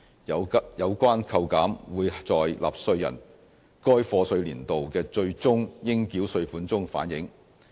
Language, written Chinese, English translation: Cantonese, 有關扣減會在納稅人該課稅年度的最終應繳稅款中反映。, The reduction will be reflected in taxpayers final tax payable for the year of assessment 2016 - 2017